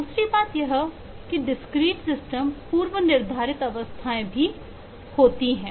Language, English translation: Hindi, the second is, of course, discrete systems have predefined well defined states